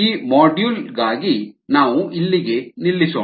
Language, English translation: Kannada, i think we will stop here for this module